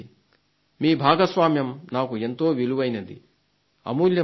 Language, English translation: Telugu, Your contribution is priceless for me